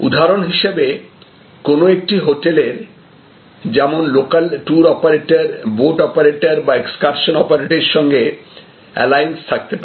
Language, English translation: Bengali, So, which means that there can be a hotel and the hotel can have alliance with some local tour operators or local boat operators or local excursion operators